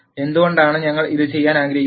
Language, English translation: Malayalam, Why do we want to do this